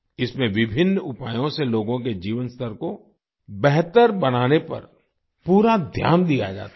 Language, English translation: Hindi, In this, full attention is given to improve the quality of life of the people through various measures